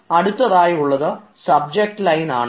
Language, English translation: Malayalam, next to that will be the subject line